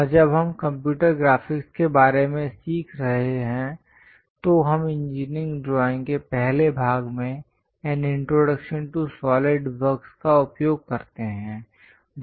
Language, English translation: Hindi, And when we are learning about computer graphics, we use introduction to solid works , in the first part introduction to engineering drawings